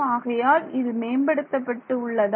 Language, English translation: Tamil, So, is that an improvement